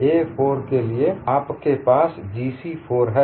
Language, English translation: Hindi, For a 4, you have this as G c4